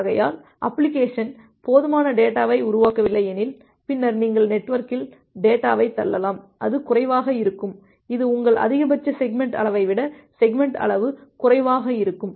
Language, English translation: Tamil, So, that is why many of the times it may happen that if the application is not generating sufficient data, then you can push the data in the network which is less than the where the segment size is less than your maximum segment size